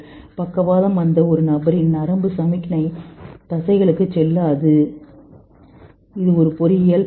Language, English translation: Tamil, A person who gets paralysis and the nerve signal are not going to the muscles to move